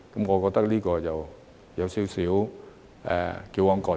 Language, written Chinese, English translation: Cantonese, 我覺得有點矯枉過正。, I think it is an overkill